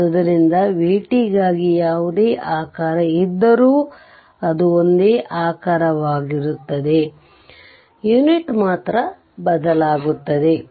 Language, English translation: Kannada, So, whatever shape is there for v t, it will be same shape right; only thing is that unit will change